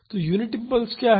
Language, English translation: Hindi, So, what is the unit impulse